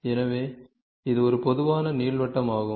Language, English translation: Tamil, So, this is a typical ellipse